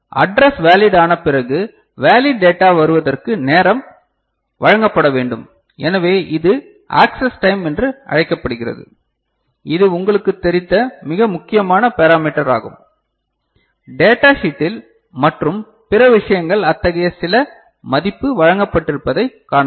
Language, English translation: Tamil, So, from address line being made valid to a valid data comes, the time needs to be provided so, that is known as access time, is a very important parameter of you know you know, data sheet and other things will be able to see that some such value is provided